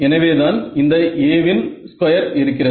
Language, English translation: Tamil, Yeah, that is why at this A square comes in